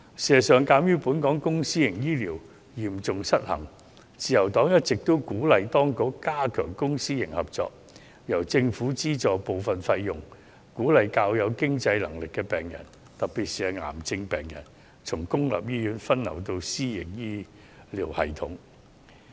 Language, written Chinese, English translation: Cantonese, 事實上，鑒於香港公私營醫療嚴重失衡，自由黨一直鼓勵當局加強公私營合作，由政府資助部分費用，鼓勵較有經濟能力的病人，特別是癌症病人，從公營醫院分流到私營醫療系統。, In fact given the severe imbalance in public - private healthcare the Liberal Party has been advising the authorities to enhance public - private partnership . Through subsidizing part of the fees the Government can encourage diversion of those patients from public hospitals to the private healthcare system especially cancer patients in who have the financial ability